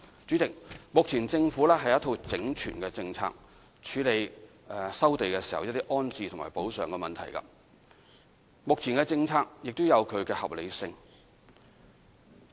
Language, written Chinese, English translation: Cantonese, 主席，政府有一套整全的政策，處理收地時的安置和補償問題，目前的政策也有它的合理性。, President the Government has a holistic set of policy to tackle resettlement and compensation issues arising from land resumption . The existing policy is also reasonable